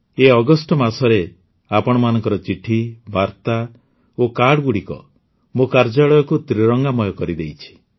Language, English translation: Odia, In this month of August, all your letters, messages and cards have soaked my office in the hues of the tricolor